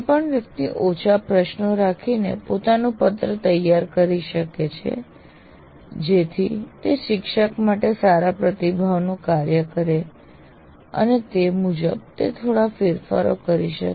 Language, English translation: Gujarati, So one can design one's own form with small number of questions so that it acts as a good feedback to the teacher and he can make minor adjustments accordingly